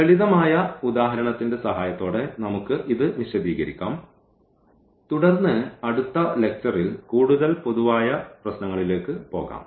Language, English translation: Malayalam, Let us explain this with the help of simple example and then perhaps in the next lecture we will go for more general problems